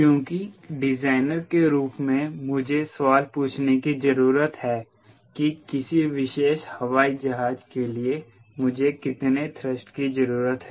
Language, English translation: Hindi, so the designer i need to ask question: how much thrust do i require for a particular airplane